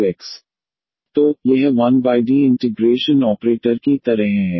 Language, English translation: Hindi, So, this 1 over D is like integral operator